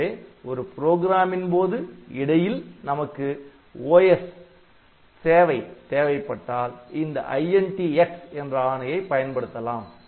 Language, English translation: Tamil, So, in a program whenever you are willing to get service from the system, so you have to use this INT x instruction